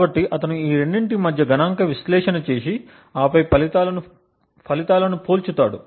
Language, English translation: Telugu, So, he performs a statistical analysis between these two and then compares the results